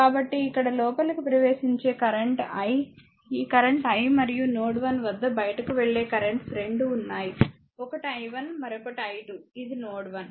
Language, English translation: Telugu, So, here the incoming current is i , this current is i and at node 1 are 2 2 are outgoing current, one is i 1, another is i 2 this is your node 1, right